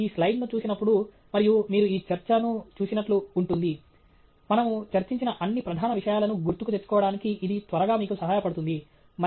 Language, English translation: Telugu, So, just when you look at this slide, and you look at this discussion, it quickly helps you recollect all the major things that we have discussed okay